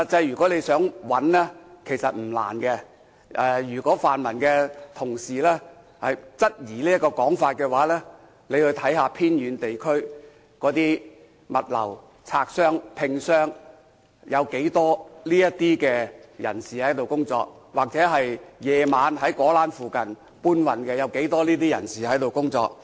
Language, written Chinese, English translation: Cantonese, 如果想找他們的話，實際上並不難，如果泛民同事質疑這種說法的話，可到偏遠地區，看看從事物流工作的，例如拆箱等，有多少是這類人士，或者晚上在果欄附近當搬運工人的，有多少是這類人士。, It is actually not difficult to find them . If pan - democratic Members have any queries about this they can go to remote areas to see how many logistics workers such as devanning hands are people of this sort . Alternatively they can see for themselves how many porters working around the Wholesale Fruit Market at night are people of this sort